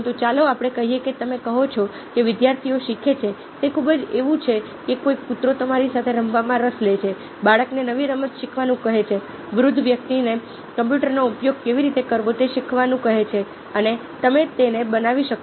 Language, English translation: Gujarati, but let's say that you say the student learning is very much like may be a dog getting interested to play with you, or asking a child to learn a new game, asking an old person to learn to how to use computer, and you can make a series of such possible points as is indicated here in power point